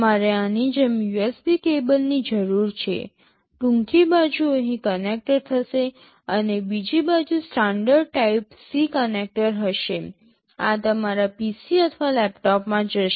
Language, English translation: Gujarati, You need a USB cable like this, the shorter side will be connected here and the other side will be a standard type C connector, this will go into your PC or laptop